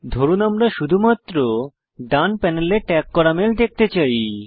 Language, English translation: Bengali, Suppose we want to view only the mails that have been tagged, in the right panel